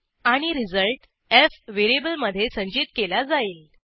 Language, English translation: Marathi, And stores the result in a variable f